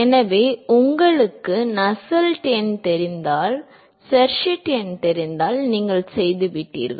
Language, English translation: Tamil, So, if you know Nusselt number, if you know Sherwood number you done